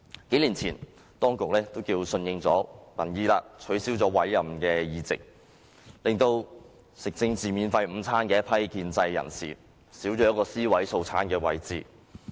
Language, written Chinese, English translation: Cantonese, 數年前，當局可算是順應民意，取消委任議席，令吃政治免費午餐的一批建制人士，少了一個尸位素餐的地方。, A few years ago in an act that could be considered an answer to the public aspiration the authorities abolished the ex - officio seats thereby removing dead wood positions for some pro - establishment people who had been enjoying political free lunches